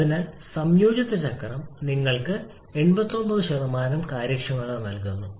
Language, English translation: Malayalam, But the Combine cycle is going to give you an efficiency of 89%